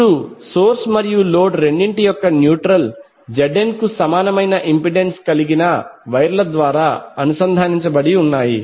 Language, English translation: Telugu, Now the neutrals of both of the source as well as load are connected through wire having impedance equal to ZN